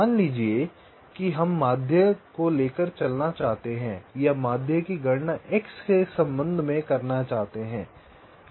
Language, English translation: Hindi, suppose we want to carry out the median or calculate the median with respect to x